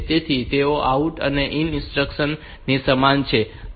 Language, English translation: Gujarati, So, they are similar to this out and in instruction